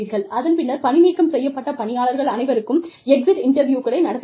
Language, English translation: Tamil, And, you conduct exit interviews, with all discharged employees